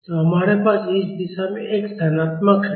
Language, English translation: Hindi, So, we have x is positive in this direction